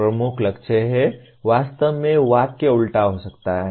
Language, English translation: Hindi, The major goal is, actually the sentence could have been reversed